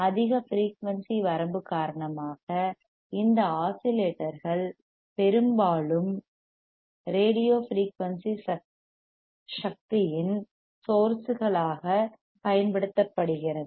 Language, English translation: Tamil, Due to higher frequency range, these oscillators are often used asfor sources of radio frequency energy ok